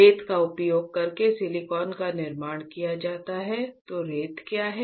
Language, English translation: Hindi, Silicon is fabricated using sand, then what is sand